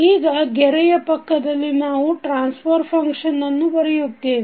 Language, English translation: Kannada, Now adjacent to line we write the transfer function